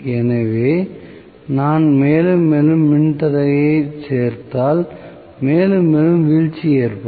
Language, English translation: Tamil, So, if I include more and more resistance, more and more drop would take place